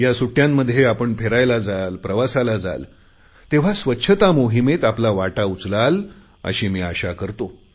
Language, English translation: Marathi, I hope that when you set out on a journey during the coming holidays you can contribute something to cleanliness too